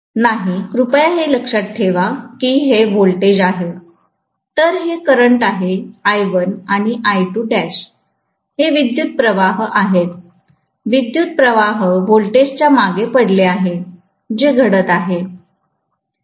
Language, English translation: Marathi, No, see please remember that this is voltage, whereas this is current, I2 dash or I1, these are currents, currents should lag behind the voltage, which is happening